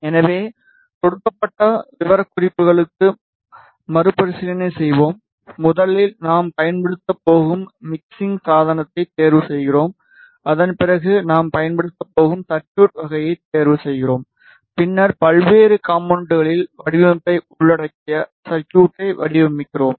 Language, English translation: Tamil, So, let us revise for given specifications first we choose the mixing device that we are going to use, after that we choose the type of the circuit that we are going to use, and then we design the circuit which involves design in various components involved in the circuit, then we have simulation and finally, we optimize a circuit to achieve the desired performance